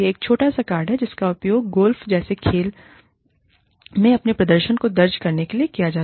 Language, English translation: Hindi, It is a small card, used to record, one's own performance, in sports, such as golf